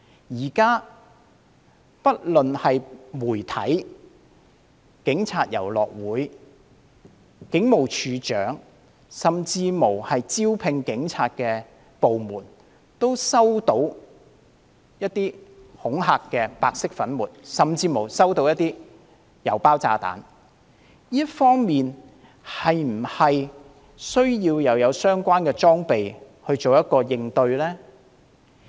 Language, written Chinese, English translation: Cantonese, 現時不論媒體、警察體育遊樂會、警務處處長甚至招聘警員的部門，也收到白色粉末甚至郵包炸彈恐嚇，在這方面，是否需要添置相關裝備以作出應對呢？, The media the Police Sports and Recreation Club the Commissioner of Police and even the department recruiting police officers have received white powder or even threatened by parcel bombs . Should relevant gears be purchased in response to the situation?